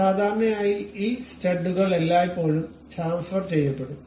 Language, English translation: Malayalam, So, usually these studs are always be chamfered